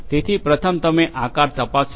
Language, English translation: Gujarati, So, first you check the shape